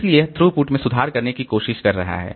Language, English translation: Hindi, So, this is trying to improve the throughput